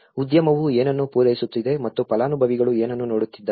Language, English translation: Kannada, What the industry is supplying and what the beneficiaries are looking about